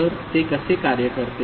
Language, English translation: Marathi, So, how it works